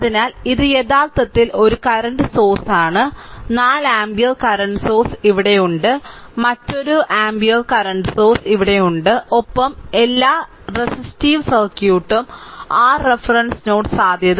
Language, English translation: Malayalam, So, this is actually ah one current source is here, a 4 ampere current source is here, another one ampere current source is here and rest all the resistive circuit and this is your reference node potential is 0